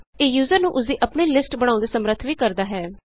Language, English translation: Punjabi, It also enables the user to create his own lists